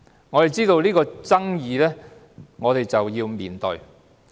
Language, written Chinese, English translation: Cantonese, 我們知道有爭議性，便要面對它。, As we are aware of the controversy we have to face it